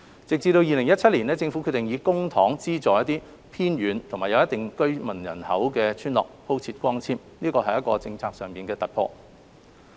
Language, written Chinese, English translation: Cantonese, 直至2017年，政府決定以公帑資助一些偏遠及有一定居民人口的鄉村鋪設光纖，這是一項政策突破。, A policy breakthrough was made in 2017 when the Government decided to subsidize the laying of fibre - based cables for those remote villages with a reasonable number of residents